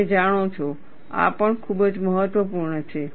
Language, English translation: Gujarati, You know, this is also very important